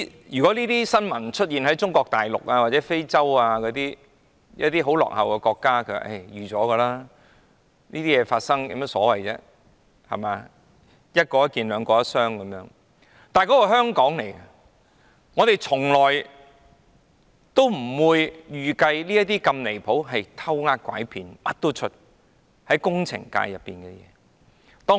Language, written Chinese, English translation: Cantonese, 如果這些事件發生在中國大陸、非洲或一些落後國家，或許尚且是意料之內，但這些事件竟然在香港發生，我們從來不會預計這麼離譜、涉及"偷呃拐騙"的事會在我們的工程界出現。, We will not be surprised if these incidents happen in the Mainland Africa or some undeveloped countries . But they happen in Hong Kong . We could have never expected that these outrageous irregular practices would have happened in our engineering sector